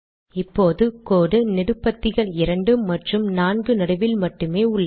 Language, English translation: Tamil, Okay, so now I have the line between columns two and four only